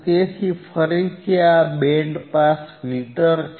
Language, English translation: Gujarati, So, again this is band pass filter